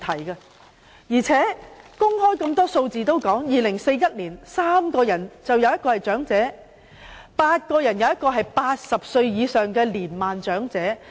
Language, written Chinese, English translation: Cantonese, 而且，很多公開數字均已說明，到了2041年，每3人當中便有1人是長者，每8人當中便有1人是80歲或以上的年邁長者。, Furthermore as illustrated by a lot of public data there will be one elderly person in every three persons and one elderly person of an advanced age in every eight persons by 2041